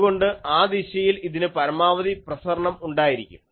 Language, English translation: Malayalam, So, in that direction, it has the maximum radiation